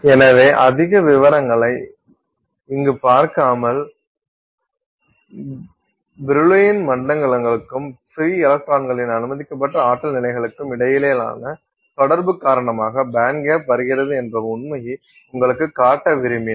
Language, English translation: Tamil, So, without going into much detail here, I just wanted to show you the fact that actually the band gap comes due to an interaction between the Brillwan zones and the allowed energy levels of the free electrons